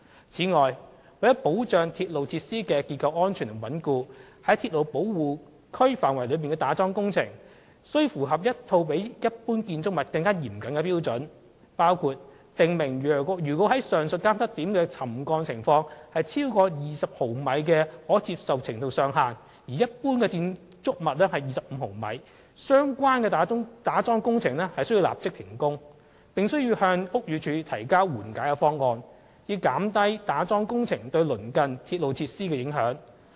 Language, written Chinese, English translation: Cantonese, 此外，為保障鐵路設施的結構安全和穩固，於鐵路保護區範圍內的打樁工程，須符合一套比一般建築物更嚴謹的標準，包括訂明當上述監測點的沉降情況超過20毫米的可接受程度上限時，須立即停止相關的打樁工程，並向屋宇署提交緩解方案，以減低對鄰近鐵路設施的影響。, Moreover to ensure structural safety and stability of railway facilities piling works to be carried out within a railway protection area must comply with a set of more stringent standards . For instance it is stipulated that when the subsidence at the above monitoring checkpoint exceeds the maximum tolerable limit of 20 mm the piling works concerned should be suspended and a remedial proposal should be submitted to BD so as to minimize the adverse impact on the adjacent railway facilities